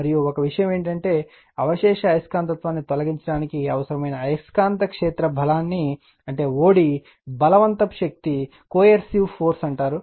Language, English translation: Telugu, And one thing is there magnetic field strength that is o d required to remove the residual magnetism is called coercive force right